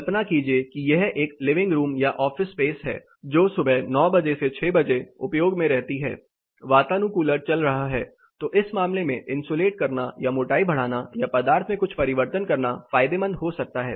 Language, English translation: Hindi, Imagine this is a living room or an office space, which is occupied from 9 o’clock in the morning 6 o’clock it is closed air conditioner is running so at case insulating or increasing the thickness or doing some material change might be beneficial in this case